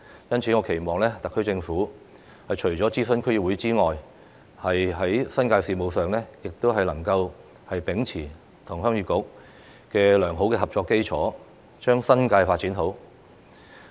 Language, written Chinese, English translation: Cantonese, 因此，我期望特區政府除了諮詢區議會之外，在新界事務上亦能夠秉持與鄉議局的良好合作基礎，將新界發展好。, For that reason I hope that apart from consulting District Councils the SAR Government will maintain good cooperation with the Heung Yee Kuk when it deals with matters concerning the New Territories with a view to making the development of the New Territories a success